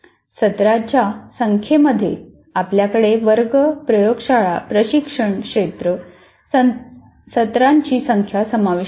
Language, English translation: Marathi, And the number of sessions that you have for the number of class, laboratory, tutorial, field sessions, whatever you have